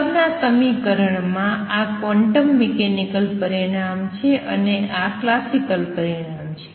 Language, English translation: Gujarati, Similarly in the equation above, this is a quantum mechanical result and this is a classical result